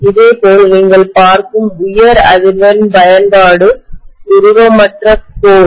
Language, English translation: Tamil, Similarly, any high frequency application you will see amorphous core